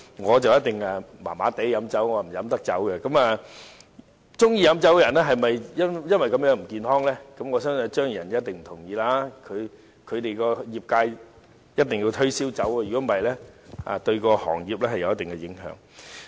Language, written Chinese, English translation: Cantonese, 我不知道喜歡飲酒的人是否因為這樣而不健康，但我相信張宇人議員一定不同意，他所屬的業界一定要推銷酒，否則會對行業有一定影響。, I am not sure if liquor lovers have bad health because of this reason but I believe Mr Tommy CHEUNG will definitely disagree . His sector has to sell liquor; otherwise their business will be affected